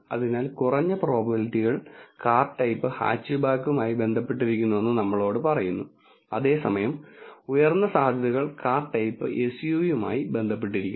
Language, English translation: Malayalam, So, this tells us that the lower probabilities are associated with the car type hatchback where as the higher probabilities are associated with the car type SUV